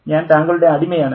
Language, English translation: Malayalam, I am your slave